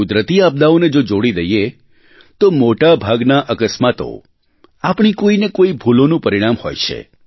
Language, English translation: Gujarati, Leave aside natural disasters; most of the mishaps are a consequence of some mistake or the other on our part